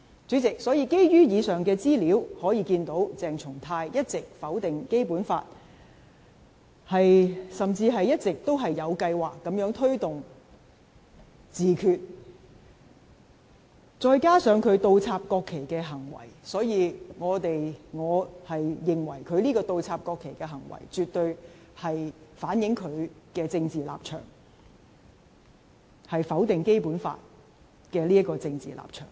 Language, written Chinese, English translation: Cantonese, 主席，從以上資料可見，鄭松泰一直否定《基本法》，甚至一直有計劃推動自決，再加上他倒插國旗的行為，所以我認為他倒插國旗的行為，絕對反映他否定《基本法》的政治立場。, President the aforementioned information shows that CHENG Chung - tai has always been denying the Basic Law and even planning to promote self - determination . Viewed in conjunction with his acts of inverting the national flags I consider them absolutely indicative of his political stance of denying the Basic Law